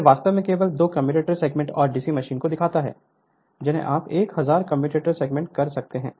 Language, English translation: Hindi, So, this is actually show only two commutator segments and DC machine you can 1000 commutator segment